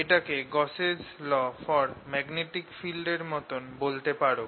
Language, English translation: Bengali, you can call this like i'll just put it in quotes gauss's law for magnetic field